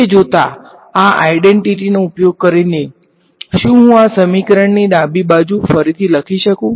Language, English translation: Gujarati, So, looking, using this identity, can I rewrite the left hand side of this equation